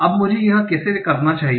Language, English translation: Hindi, Now, how should I do that